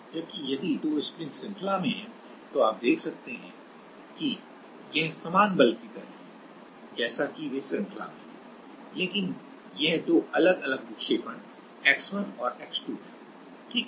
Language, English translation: Hindi, Whereas, if two springs are in series then you can see that it is like same force is applied as they are in series, but it is two different deflection x 1 and x 2, right